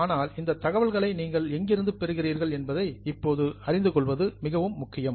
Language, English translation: Tamil, But right now it is very important for you to know where from you get all this information